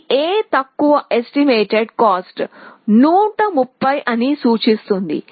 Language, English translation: Telugu, It terms out that A is lower estimated cost 130